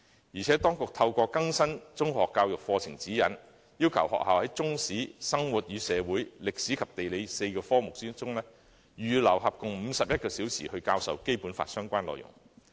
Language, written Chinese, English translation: Cantonese, 而且，當局透過更新《中學教育課程指引》，要求學校在中史、生活與社會、歷史及地理這4個科目中，預留合共51小時來教授《基本法》的相關內容。, Furthermore according to the revised Secondary Education Curriculum Guide schools are required to set aside 51 hours in total in Chinese History Life and Society History and Geography lessons for the teaching of contents relevant to the Basic Law